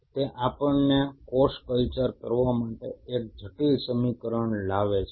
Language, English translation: Gujarati, That brings us a complex equation to do a cell culture